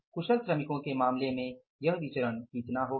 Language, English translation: Hindi, In case of the skilled workers this variance is going to be how much